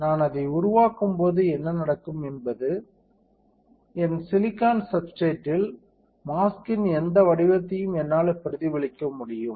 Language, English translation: Tamil, And when I develop it what will happen is that on my silicon substrate, I will be able to replicate whatever pattern was there on the mask